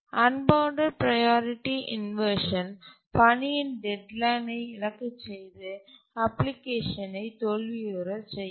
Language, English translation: Tamil, And unbounded priority inversion can cause a task to miss its deadline and cause the failure of the application